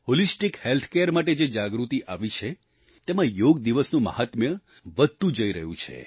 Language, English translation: Gujarati, The awareness about Holistic Health Care has enhanced the glory of yoga and Yoga day